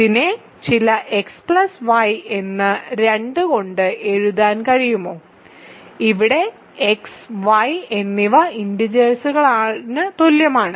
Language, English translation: Malayalam, So, can this be written as some x plus y by 2, where so, is this equal to where x and y are integers